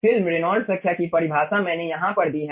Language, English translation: Hindi, the definition of film reynolds number i have given over here